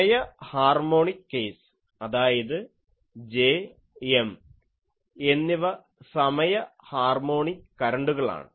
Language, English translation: Malayalam, Time harmonic case; that means, both J and M are time harmonic currents